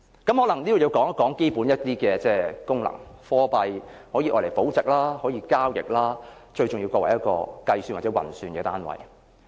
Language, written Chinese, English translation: Cantonese, 我可能要討論一下貨幣的基本功能，貨幣可以用來保值，可以交易，最重要可作為一個運算單位。, I may need to say something about the basic function of a currency . It can be used to store value to trade and most importantly to serve as a unit for computation